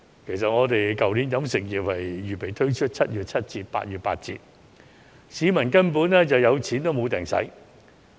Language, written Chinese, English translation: Cantonese, 其實，去年飲食業原訂推出7月七折、8月八折的優惠，可惜市民有錢也未能消費。, In fact the catering industry originally intended to offer a 30 % discount in July and a 20 % discount in August last year